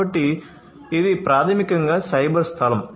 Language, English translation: Telugu, So, this is basically the cyber space